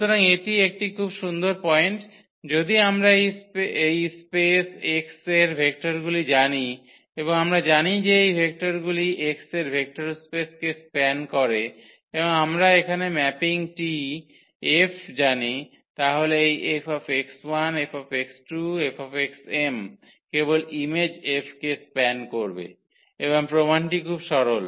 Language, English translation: Bengali, So, that is a very nice point here if we know the vectors from this space x and we know that these vectors span the vector space x and we know the mapping here F then this F x 1 F x 2 F x m they will just span the image F and the idea of the proof is very simple